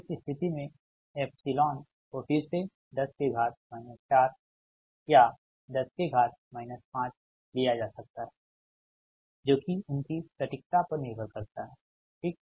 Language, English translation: Hindi, in this case epsilon may be taken again as point three: naught one ten to the power minus four, or point four, naught one ten to the power minus five, depends on a their accuracy, right